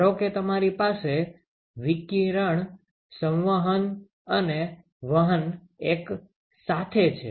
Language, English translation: Gujarati, Suppose you have radiation and convection and conduction simultaneously ok